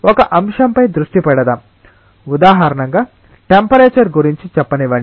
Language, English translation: Telugu, Let us concentrate on one of the factors as examples let us say temperature